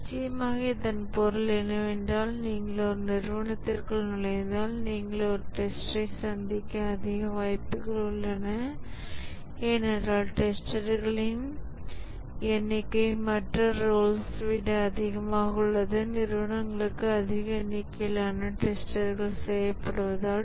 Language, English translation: Tamil, And of course that means that if you walk into a company, you are more likely to meet a tester because number of testers are much more than other roles, which also implies that more job opportunities in testing because the companies need large number of testers